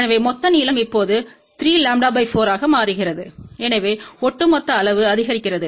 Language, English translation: Tamil, So, the total length becomes now 3 lambda by 4 so, by overall size increases